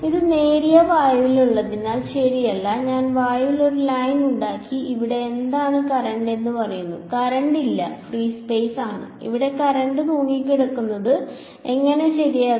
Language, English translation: Malayalam, No right because it is in thin air, I just made line in the air and said what is the current over here there is no current it is free space there is no current hanging out there how will they be right